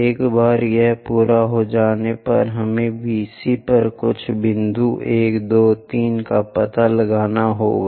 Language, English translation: Hindi, Once it is done, we have to locate few points 1, 2, 3 on VC prime